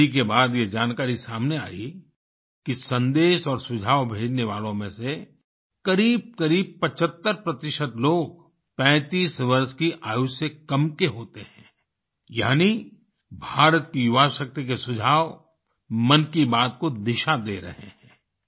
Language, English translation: Hindi, The study revealed the fact that out of those sending messages and suggestions, close to 75% are below the age of 35…meaning thereby that the suggestions of the youth power of India are steering Mann ki Baat